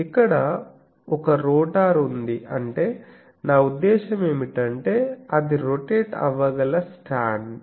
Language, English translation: Telugu, So here is an rotor I mean is a stand which can rotate